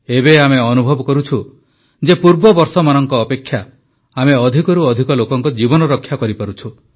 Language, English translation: Odia, We experience now that compared to earlier times, we are being able to save the lives of maximum people